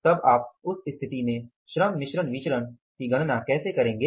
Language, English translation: Hindi, So, how would you calculate the labor mix variance in that situation